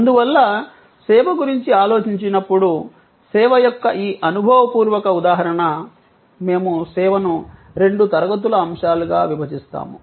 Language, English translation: Telugu, Therefore, when we think of service, this experiential paradigm of service, we divide the service into two classes of elements